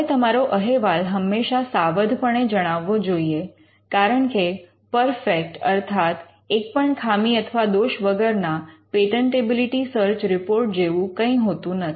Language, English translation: Gujarati, You always cautiously describe your report, because you as we said there is no such thing as a perfect patentability search report